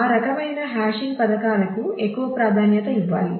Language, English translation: Telugu, So, those kind of hashing schemes should be more preferred